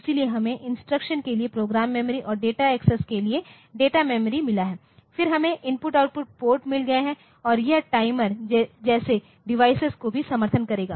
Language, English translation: Hindi, So, we have got program memory for instruction and data memory for data access, then we have got I/O ports and it will also support device such as timers